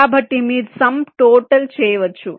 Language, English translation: Telugu, so you can do a sum total